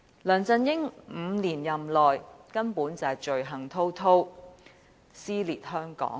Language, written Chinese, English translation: Cantonese, 梁振英在其5年任內根本罪行滔滔，撕裂香港。, During his five - year term LEUNG Chun - ying has committed heinous sins and torn Hong Kong apart